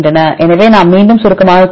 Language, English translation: Tamil, So, we can summarize again